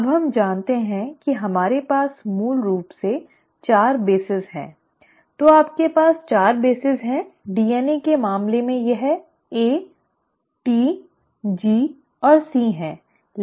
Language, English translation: Hindi, Now we know we basically have 4 bases, so you have 4 bases; in case of DNA it is A, T, G and C